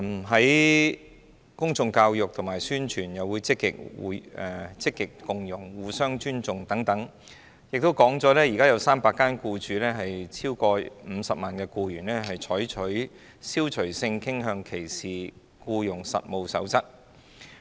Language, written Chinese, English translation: Cantonese, 在公眾教育及宣傳方面，我們積極推廣共融、互相尊重"，當中亦提及目前已經有超過300間共僱用超過50萬僱員的機構採納《消除性傾向歧視僱傭實務守則》。, On public education and publicity we have been proactively promoting the culture and values of inclusiveness mutual respect and at present over 300 organizations employing a total of more than 500 000 employees have adopted the Code of Practice against Discrimination in Employment on the Ground of Sexual Orientation